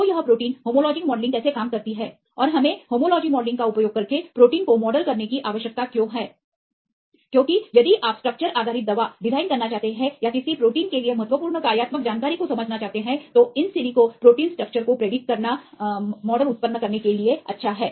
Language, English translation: Hindi, So, how this protein homology modelling works and why we need to model the protein using homology modelling; because if you want to do structure based drug design or to understand the important functionally important information for a protein, it is good to generate models using in silico protein structure prediction